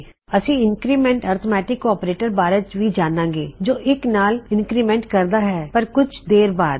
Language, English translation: Punjabi, Well learn about the increment arithmetic operator which increments by 1 but Ill use that a little later